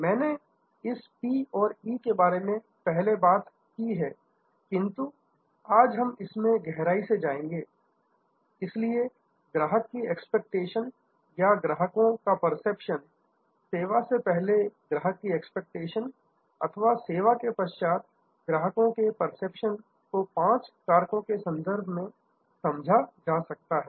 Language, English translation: Hindi, I have talked about this p and e earlier, but today we will go deeper into it, so this customer expectation or customers perception, customer expectation before the service, customers perception after the service can be understood in terms of five factors